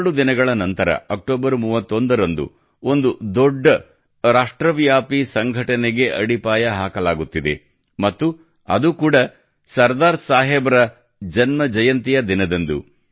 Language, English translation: Kannada, Just two days later, on the 31st of October, the foundation of a very big nationwide organization is being laid and that too on the birth anniversary of Sardar Sahib